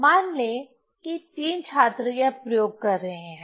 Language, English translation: Hindi, So, say, three students are doing this experiment